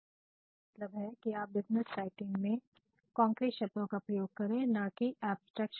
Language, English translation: Hindi, So, my suggestion is that when you are writing for business, please go for concrete words and do not go for abstract words